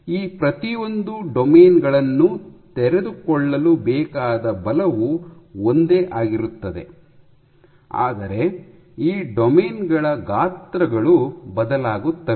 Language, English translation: Kannada, The force required to unfold each of these domains remains the same, but the sizes of these domains are varying